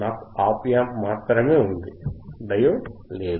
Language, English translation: Telugu, I have just op amp right, diode is not there